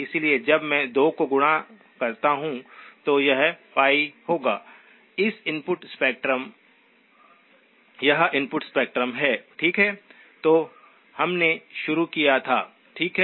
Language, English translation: Hindi, So when I multiply the 2, this will come out to be pi, that is the input spectrum, okay, which is what we started off with, okay